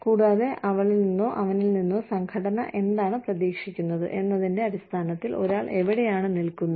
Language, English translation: Malayalam, And, where does one stand, in terms of, what the organization expects, of her or him